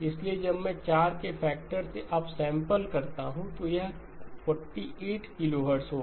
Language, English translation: Hindi, So when I upsample by a factor of 4, it became 48 kilohertz